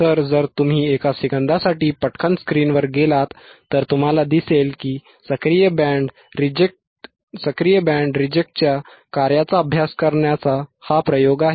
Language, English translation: Marathi, So, if you quickly go to the screen for a second, you will see that the experiment is to study the working of active band reject filter active band reject filter